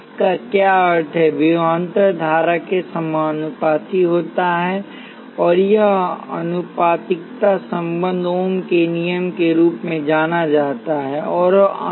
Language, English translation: Hindi, What does this mean, the voltage is proportional to the current and this proportionality relationship is known as ohm’s law